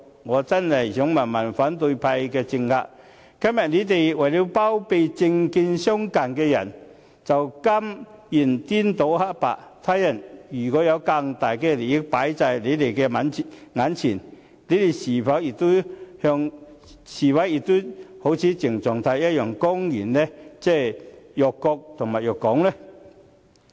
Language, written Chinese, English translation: Cantonese, 我真想問問反對派的政客，今天為了包庇政見相近的人，便甘願顛倒黑白，他日若有更大利益擺在眼前，他們是否也會像鄭松泰一樣公然辱國辱港呢？, I would really like to ask the politicos of the opposition camp as they are willing to confound right with wrong in order to harbour those with similar political views today when they are confronted with greater interests in the future will they act like CHENG Chung - tai and publicly insult the country and Hong Kong?